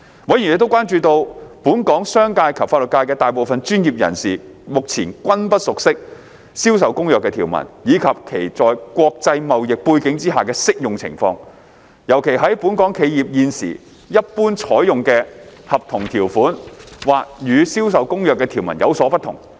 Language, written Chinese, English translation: Cantonese, 委員亦關注到，本港商界及法律界的大部分專業人士目前均不熟悉《銷售公約》的條文，以及其在國際貿易背景下的適用情況，尤其是本港企業現時一般採用的合同條款或與《銷售公約》的條文有所不同。, Members were also concerned that most professionals in the business and legal sectors in Hong Kong were not familiar with the provisions of CISG and its application in the context of international trade especially when the contractual terms currently used by Hong Kong enterprises might be different from those of CISG